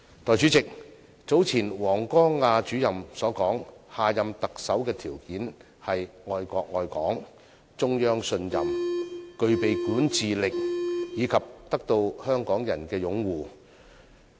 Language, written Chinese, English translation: Cantonese, 代理主席，據早前王光亞主任所說，下任特首的條件是愛國愛港、獲中央信任、具備管治能力，以及得到港人擁護。, Deputy President as said by Director WANG Guangya recently the criteria for the next Chief Executive are that he must love the country and Hong Kong command the trust of the Central Authorities possess the ability to govern and have the support of Hong Kong people